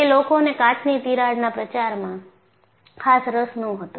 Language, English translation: Gujarati, He was particularly interested in propagation of cracks in glass